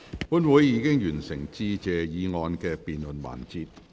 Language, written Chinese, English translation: Cantonese, 本會已完成"致謝議案"的辯論環節。, The debate sessions on Motion of Thanks end